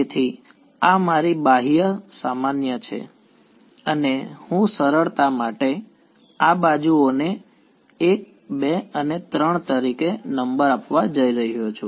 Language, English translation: Gujarati, So, this is my n hat outward normal and I am just going to number these edges as 1, 2 and 3 for simplicity